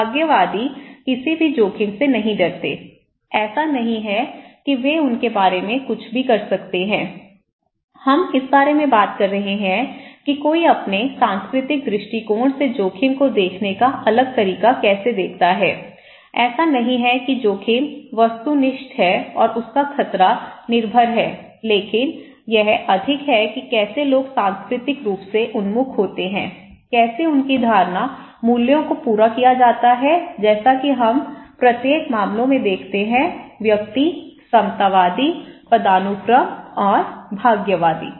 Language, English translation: Hindi, Fatalists; don’t see the point of fearing any risk, it’s not like they can do anything about them so, we are talking about this that how one see different way of looking at the risk from their cultural perspective so, it is not that risk is objective and his hazard dependent but it is more that how people are culturally when oriented, how their perception values are met as we see in each cases; individuals, egalitarian, hierarchists and fatalists